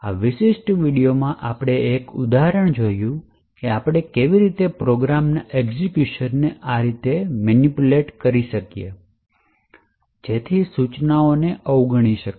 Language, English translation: Gujarati, So, in this particular video, we have seen one example of how we could manipulate execution of a program in such a way so that an instruction can be skipped